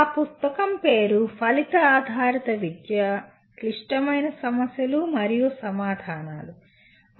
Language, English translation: Telugu, The book is Outcome Based Education Critical Issues and Answers